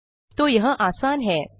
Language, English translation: Hindi, So that way easy